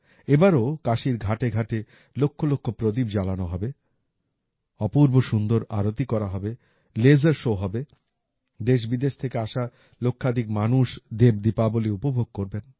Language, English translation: Bengali, This time too, lakhs of lamps will be lit on the Ghats of Kashi; there will be a grand Aarti; there will be a laser show… lakhs of people from India and abroad will enjoy 'DevDeepawali'